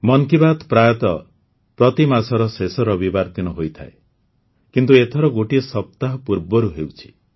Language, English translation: Odia, Usually 'Mann Ki Baat' comes your way on the last Sunday of every month, but this time it is being held a week earlier